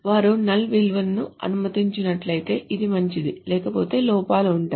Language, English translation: Telugu, If they allow non values, then this is fine, otherwise there will be errors